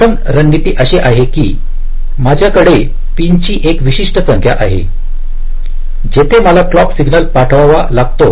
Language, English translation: Marathi, maybe, like i have a certain number of pins where i have to send the clock signal